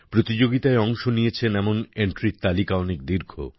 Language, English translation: Bengali, The list of such entries that entered the competition is very long